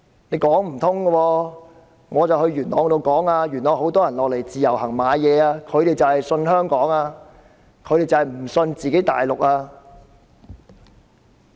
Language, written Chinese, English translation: Cantonese, 我到元朗呼籲市民，那裏有很多大陸人來自由行購物，因為他們相信香港，不相信大陸。, I went to Yuen Long to make an appeal to members of the public . Many Mainlanders go shopping there under the Individual Visit Scheme as they have trust in Hong Kong but not in the Mainland